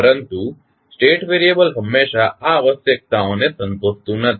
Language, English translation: Gujarati, But, a state variable does not always satisfy this requirement